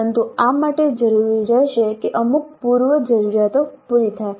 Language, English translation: Gujarati, But this would require that certain prerequisites are made